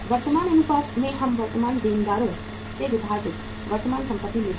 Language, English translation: Hindi, In the current ratio we take current assets minus current uh current asset divided by current liabilities